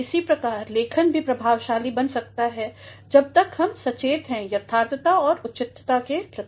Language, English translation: Hindi, In the same manner, writing can also be effective provided we are conscious of the correctness and appropriateness